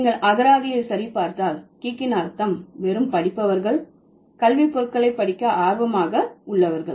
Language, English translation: Tamil, If you check the dictionary the meaning of geek is somebody who just reads, who has only been interested in reading and academic stuff